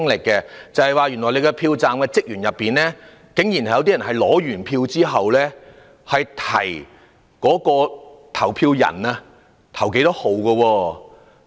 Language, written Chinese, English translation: Cantonese, 竟有些票站職員在投票人取選票後，提醒投票人該投哪一個號碼。, To my surprise some polling staff had after issuing the ballot papers reminded electors which candidate to vote for